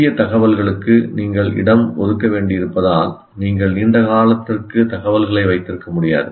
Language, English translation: Tamil, You cannot keep information for a long period because you have to make space for the new information to come in